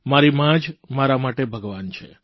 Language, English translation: Gujarati, My mother is God to me